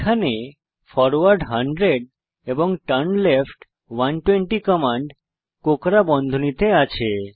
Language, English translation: Bengali, Here the commands forward 100 and turnleft 120 are within curly brackets